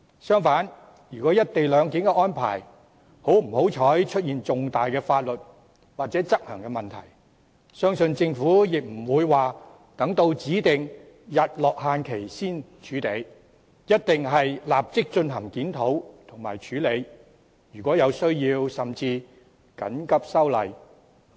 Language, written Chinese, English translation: Cantonese, 相反，如果"一地兩檢"安排不幸出現重大的法律或執行問題，相信政府亦不會待指定的"日落"期限才處理，一定會立即進行檢討和處理，而如果有需要，甚至會緊急修例。, On the contrary it is believed that if major legal concerns or enforcement issues unfortunately arise over the co - location arrangement the Government will not wait till the specified sunset date to address them . It will definitely review and address them at once and if necessary it may even introduce legislative amendments as a matter of emergency